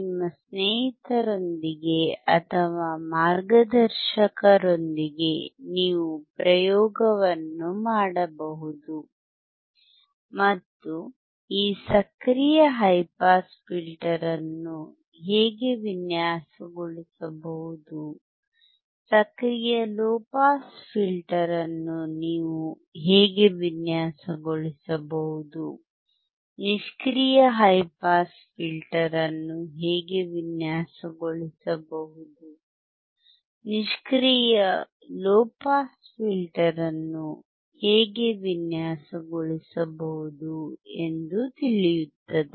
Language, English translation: Kannada, You can perform the experiment along with a mentor you can perform the experiment with your friends, and see how you can design active high pass filter, how you can design an active low pass filter, how you can design a passive high pass filter, how can is an a passive low pass filter